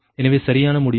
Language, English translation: Tamil, so, correct result